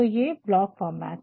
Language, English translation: Hindi, So, this is about full block format